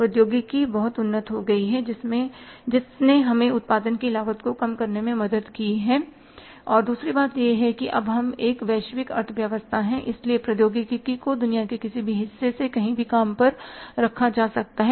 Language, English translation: Hindi, Technology has become very advanced which has helped us reduce the cost of production and second thing is because we now we are a global economy so technology can be had from any beer any part of the world